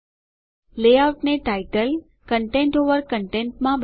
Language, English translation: Gujarati, Change the layout to title, content over content